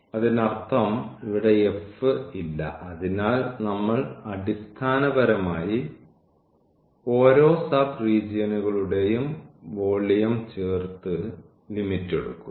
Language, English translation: Malayalam, So; that means, there is no f here so we are basically adding this delta V j the volume of each sub region and then taking the limit